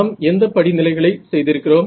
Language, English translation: Tamil, So, what are the steps that we did